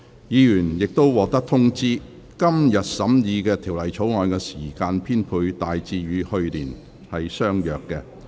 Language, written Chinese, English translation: Cantonese, 議員已獲通知，今年審議《條例草案》的時間編配大致與去年相若。, Members have been informed that the allocation of time for consideration of the Bill this year is broadly the same as that of last year